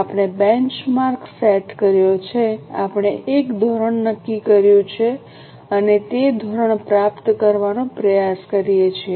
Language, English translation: Gujarati, In cost control, we set a benchmark, we set a standard and try to achieve that standard